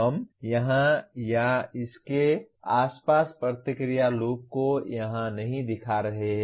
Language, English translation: Hindi, We are not showing the feedback loop around this to here or around this to here